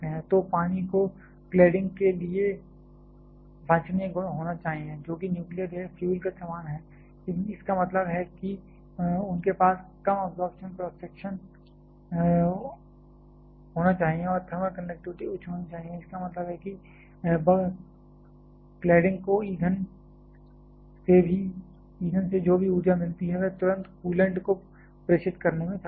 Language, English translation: Hindi, So, water should be the desirable properties for the cladding, quite similar to the nuclear fuel; that means they should have low absorption cross section and the thermal conductivity it should be high; that means, whatever energy the cladding receives from the fuel that is able to transmit immediately to the coolant